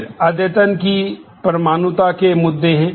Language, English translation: Hindi, Then there are issues of atomicity of update